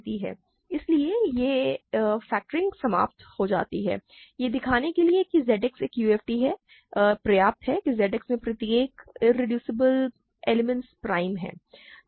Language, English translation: Hindi, So, it; so, factoring terminates so, to show that Z X is a UFD, it suffices to show that every irreducible element in Z X is prime, right